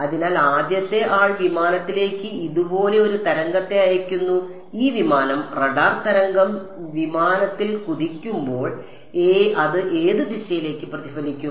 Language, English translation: Malayalam, So, the first guy is sending a wave with like this to the aircraft and this aircraft is going to when the radar wave bounces on the aircraft it is going to get reflected in which direction